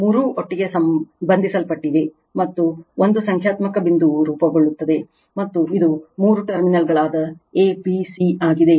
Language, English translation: Kannada, All three are bound together and a numerical point is formed, and this is a, b, c that three terminals right